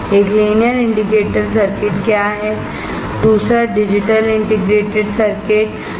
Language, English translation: Hindi, One is linear indicator circuits and Second is digital integrated circuits